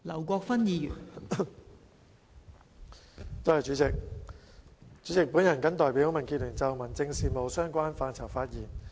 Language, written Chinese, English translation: Cantonese, 代理主席，我謹代表民主建港協進聯盟就民政事務的相關範疇發言。, Deputy President on behalf of the Democratic Alliance for the Betterment and Progress of Hong Kong I speak on the areas relating to home affairs